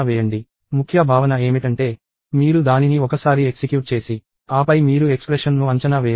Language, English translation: Telugu, So, the key concept is that, you execute it once and then you evaluate the expression